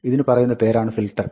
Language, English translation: Malayalam, It is called filter